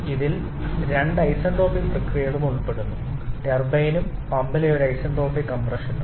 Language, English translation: Malayalam, And it also involves two isentropic processes one isentropic expansion in the turbine and one isentropic compression in the pump